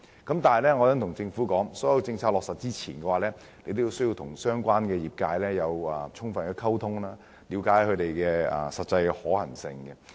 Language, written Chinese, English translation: Cantonese, 但是，我想對政府說，在落實任何政策前，政府需要與相關業界進行充分溝通，了解政策的實際可行性。, But I wish to tell the Government that before implementing any policies the Government must communicate fully with the relevant trades so as to ascertain the actual feasibility of policies